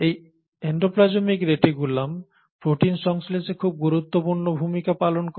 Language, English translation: Bengali, And this endoplasmic reticulum plays a very important role in protein processing